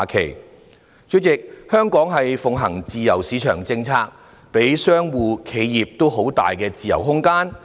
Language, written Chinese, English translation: Cantonese, 代理主席，香港奉行自由市場政策，給予商戶和企業很大空間的自由。, Deputy President Hong Kong pursues the free market policy and provides plenty of room for traders and enterprises